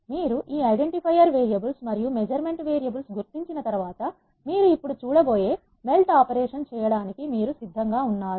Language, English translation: Telugu, Once you have identify this identifier variables and measurement variables, you are ready to do the melt operation which you are going to see now